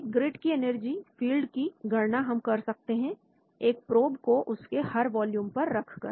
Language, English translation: Hindi, A grid with energy fields is calculated by placing a probe atom at each volume